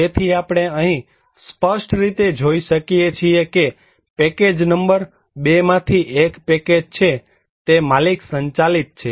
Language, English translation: Gujarati, So we can see clearly here also that there is one package from package number 2, there is owner driven